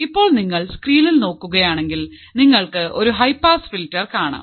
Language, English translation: Malayalam, So, if you see the screen what you can find is that there is a high pass filter